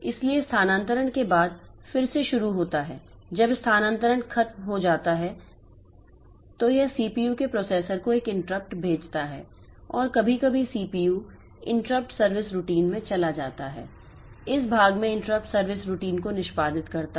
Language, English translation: Hindi, So, again after it starts doing the transfer when the transfer is over, it sends an interrupt to the processor or the CPU and after sometimes CPU goes into the interrupt service routine, executes the interrupt service routine in this part